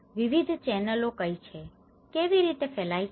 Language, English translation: Gujarati, And what are the various channels, how this is disseminated